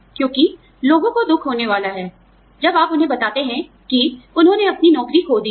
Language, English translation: Hindi, Because, people are going to be hurt, when you tell them that, they have lost their jobs